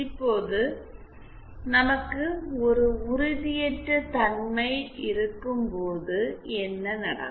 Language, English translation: Tamil, Now, what happens when we have a potentially instabilities